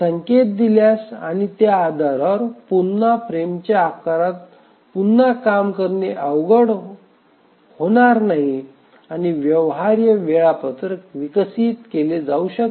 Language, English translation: Marathi, Just given the indication and based on that it don't be really very difficult to again rework on the frame size and see that if a feasible schedule can be developed